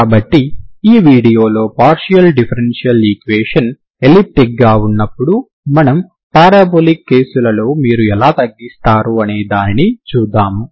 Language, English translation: Telugu, So in this video we will see other cases when the partial differential equation is elliptic and parabolic case how do you reduce